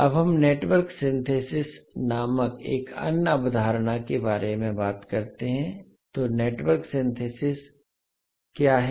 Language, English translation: Hindi, Now let us talk about another concept called Network Synthesis, so what is Network Synthesis